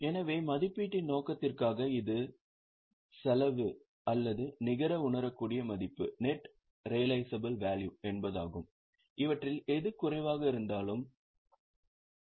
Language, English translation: Tamil, So, for the purpose of valuation, it is the cost or net realizable value whichever is lower